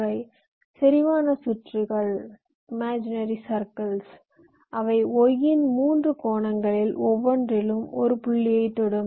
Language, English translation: Tamil, these are concentric circuits which are touch in one of the points along each of the three arms of the y